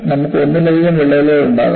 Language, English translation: Malayalam, You can have multiple cracks